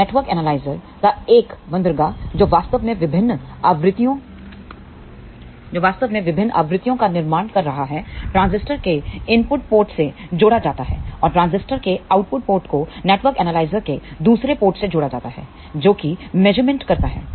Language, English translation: Hindi, So, one of the port of the network analyzer which is actually generating different frequencies is connected to the input port of the transistor and the output port of the transistor is connected to the other port of the network analyzer which does the measurement